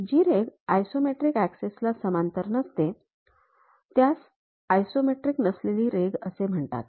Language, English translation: Marathi, Any line that does not run parallel to isometric axis is called non isometric line